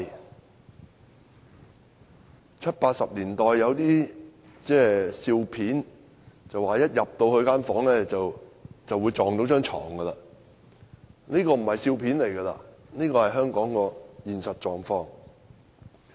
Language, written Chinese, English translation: Cantonese, 在七八十年代，喜劇中的人物一進入房間便會撞到睡床，但現在這已不是喜劇，而是香港的現實狀況。, In the comedies of the 1970s and 1980s the characters would bump against the bed after entering the bedroom but today such a scene is not only seen in comedies but in real life